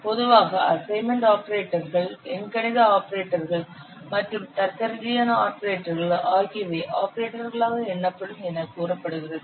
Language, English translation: Tamil, It says that assignment operators, arithmetic operators and logical operators, they are usually counted as operators